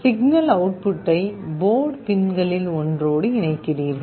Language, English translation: Tamil, You connect the signal output to one of the port pins